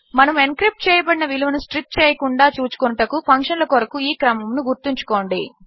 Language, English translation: Telugu, Remember this sequence for the functions, so that we are not striping off our encrypted value